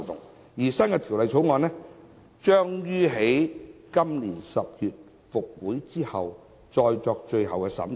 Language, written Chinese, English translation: Cantonese, 《第2號條例草案》將於今年10月立法會復會後再作最後審議。, The No . 2 Bill will be scrutinized again in October this year when the Legislative Council session resumes